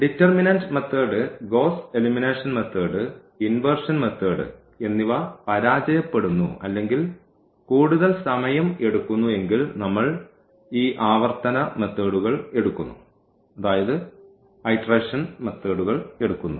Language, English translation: Malayalam, So, these all these methods which we have this method of determinant Gauss elimination, inversion method they actually fails or rather they take longer time, so, we take these iterative methods